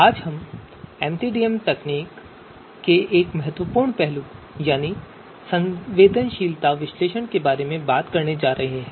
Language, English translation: Hindi, So today we are going to talk about one important aspect of MCDM techniques that is sensitivity analysis